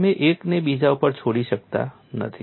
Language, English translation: Gujarati, You cannot leave out one over the other